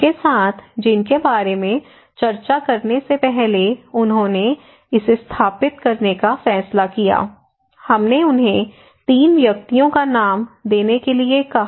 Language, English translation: Hindi, Now discussions; with, whom they discussed about before they decided to install, we asked them to name 3 persons